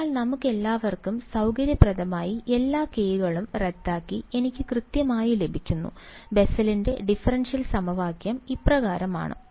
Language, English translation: Malayalam, So, conveniently for us all the all the ks cancel off and I get exactly, the Bessel’s differential equation which is as follows